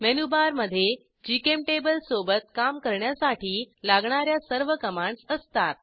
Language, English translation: Marathi, Menubar contains all the commands you need to work with GChemTable